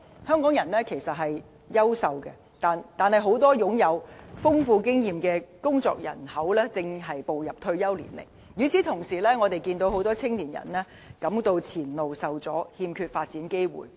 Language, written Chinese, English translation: Cantonese, 香港人是優秀的，但很多擁有豐富經驗的工作人口正步入退休年齡，與此同時，我們看到很多青年人感到前路受阻，欠缺發展機會。, Hongkongers are people of high calibre but many experienced members of our workforce are approaching retirement while many young people feel like having no access to career advancement